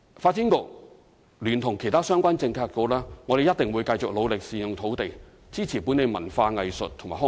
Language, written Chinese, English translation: Cantonese, 發展局聯同其他相關政策局，一定會繼續努力善用土地，支持本地文化藝術及康體發展。, The Development Bureau together with other related Policy Bureaux will strive to make good use of the land to support the development of local culture arts recreation and sports